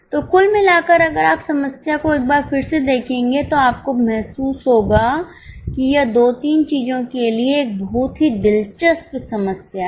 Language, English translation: Hindi, So, overall, if you see the problem once again, you will realize that this is a very interesting problem for two, three things